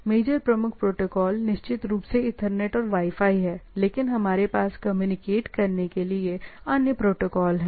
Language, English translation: Hindi, Major predominant protocol definitely is Ethernet and Wi Fi, but we have other protocols to communicate